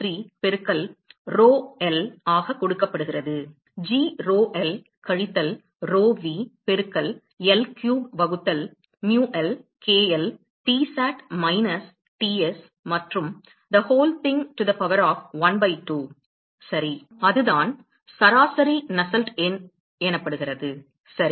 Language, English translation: Tamil, 943 into rho l; g rho l minus rho v multiplied by into L cube divide by mu l, k l, Tsat minus Ts and the whole thing to the power of 1 by 2 ok; so that is what is the average Nusselt number ok